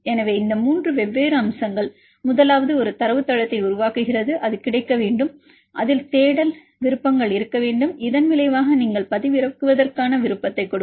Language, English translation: Tamil, So, these three different aspects, the first one is developing a database that should be available and it should have the search options and the result you have to give the option to download